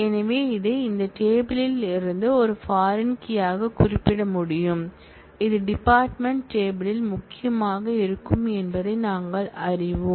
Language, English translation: Tamil, And so, we will be able to refer this, from this table as a foreign key and we know that it will be key in the department table